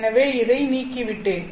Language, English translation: Tamil, So I have removed this one